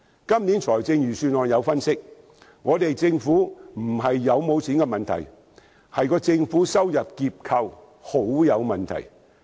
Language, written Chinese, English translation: Cantonese, 今年財政預算案分析，問題不是政府有否盈餘，而是政府收入結構相當有問題。, An analysis of this years Budget indicated that the problem does not lie in whether there is any surplus but rather in the problematic revenue structure